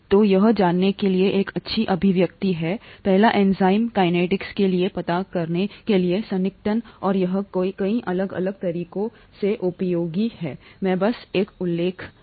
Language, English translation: Hindi, So this is a nice expression to know, the first approximation to know for enzyme kinetics, and it is useful in many different ways, I just mentioned one